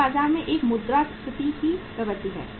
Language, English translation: Hindi, It is a inflationary trend in the market